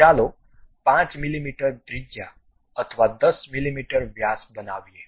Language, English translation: Gujarati, So, let us construct a 5 mm radius or 10 mm diameter